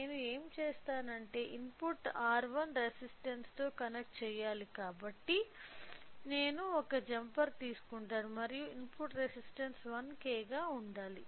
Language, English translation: Telugu, So, what I will do is that since the input has to be connected to the R 1 resistance so, I will take a jumper and input resistance should be 1K